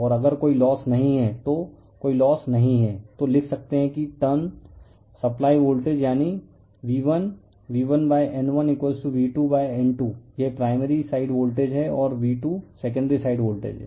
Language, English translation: Hindi, And if there is no loss we assume there is no loss then we can write that your turn supplied voltage that is V1, V1 / N1 = V2 / N2 this is primary side voltage and V2 is the secondary side voltage